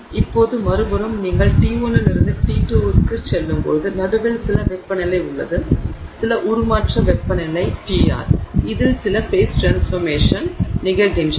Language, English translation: Tamil, Now on the other hand you could also have the possibility that as you go from T1 to T2 there is some temperature in the middle, some transformation temperature T r at which there is some phase transformation that is occurring